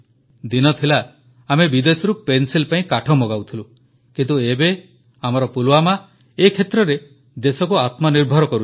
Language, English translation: Odia, Once upon a time we used to import wood for pencils from abroad, but, now our Pulwama is making the country selfsufficient in the field of pencil making